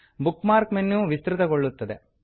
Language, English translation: Kannada, The Bookmark menu expands